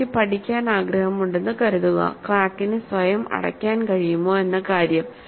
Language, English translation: Malayalam, Suppose, I want to study, my understanding whether the crack can close by itself